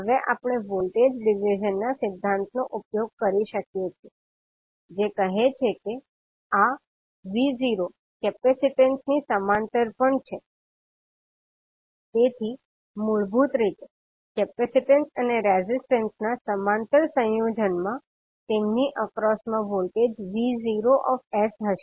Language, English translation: Gujarati, Now we can utilize the voltage division principle, says this V naught is also across the capacitance, so basically the parallel combination of capacitance and resistance will have the voltage V naught s across them